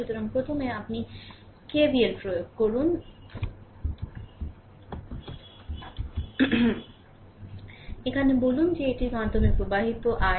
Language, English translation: Bengali, So, first you apply your K V L here say current flowing through this is i